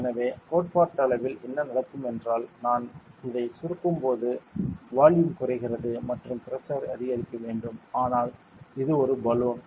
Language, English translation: Tamil, So, theoretically what should happen is when I compress this the volume decreases and the pressure should increase, but since this is a balloon can deform it can deform